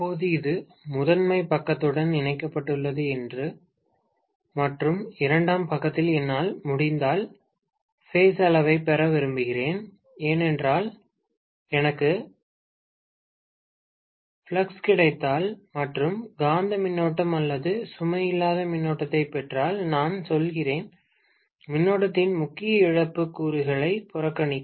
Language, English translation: Tamil, Now this is connected to the primary side and on the secondary side I would like to get the measure of the flux if I can, because if I get the flux and if I get the magnetising current or the no load current, I am going to neglect the core loss component of current